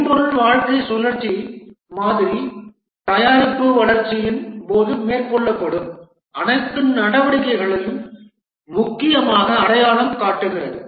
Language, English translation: Tamil, The software lifecycle model essentially identifies all the activities that are undertaken during the product development